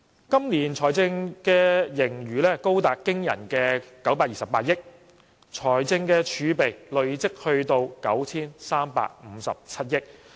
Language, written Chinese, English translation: Cantonese, 今年的財政盈餘高達驚人的928億元，財政儲備累積至 9,357 億元。, This years fiscal surplus is an amazing sum of 92.8 billion and the fiscal reserve has accumulated to 935.7 billion